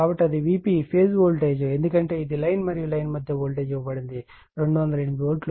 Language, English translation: Telugu, So, that is your V P phase voltage because it is line 2 , is your what you call that, your line to Line voltage is given, 208